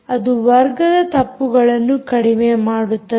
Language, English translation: Kannada, that minimizes the square error